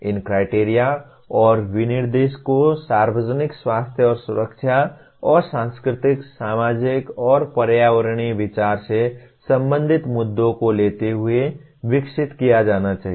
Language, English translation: Hindi, These criteria and specification should be developed taking issues related to the public health and safety and the cultural, societal and environmental consideration